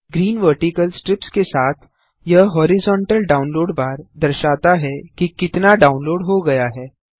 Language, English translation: Hindi, This horizontal download bar with the green vertical strips shows how much download is done